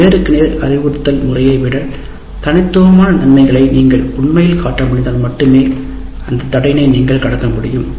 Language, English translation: Tamil, And you can cross that barrier only if you are able to really show distinct advantages over the face to face instruction